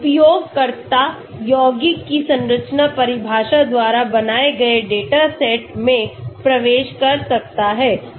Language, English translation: Hindi, The user can enter the data set composed by the structure definition of the compounds